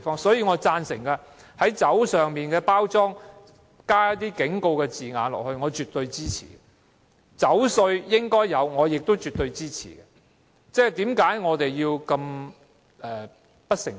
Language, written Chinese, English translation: Cantonese, 因此，我贊成在酒精飲品的包裝上加上警告字句，這做法我絕對支持，也絕對支持徵收酒稅。, For these reasons I agree to the affixation of warnings to the packaging of alcoholic beverages . I certainly support this approach and also the imposition of a wine duty